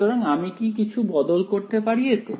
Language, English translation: Bengali, So, is there a small change I could do